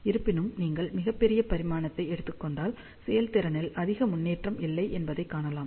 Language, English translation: Tamil, However, you can see that if you take much larger dimension, there is not much of improvement in the efficiency